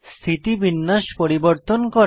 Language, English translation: Bengali, Change the orientation 3